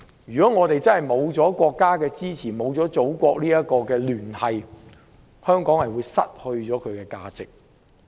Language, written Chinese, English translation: Cantonese, 如果我們失去了國家的支持，失去祖國的聯繫，香港便會失去價值。, Without the support from and connection to the Motherland Hong Kong would lose its value